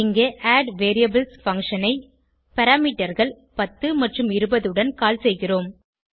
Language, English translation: Tamil, Here, we are calling addVariables function with parameters 10 and 20